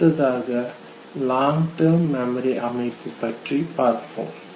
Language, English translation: Tamil, Now when we come to long term memory organization of information in long term memory